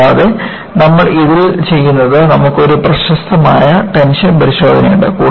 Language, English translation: Malayalam, And, what you do in this, you have a famous tension test